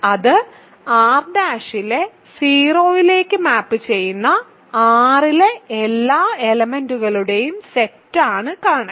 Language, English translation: Malayalam, Kernel is the set of all elements in R which map to the 0 element of R prime right